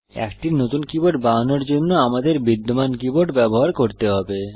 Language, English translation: Bengali, To create a new keyboard, we have to use an existing keyboard